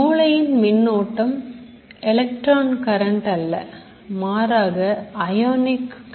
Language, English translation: Tamil, So remember brain current is not electron current, it is a ionic current